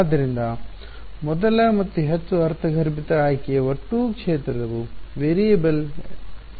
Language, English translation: Kannada, So, the first and the most intuitive choice is to allow the total field to be the variable ok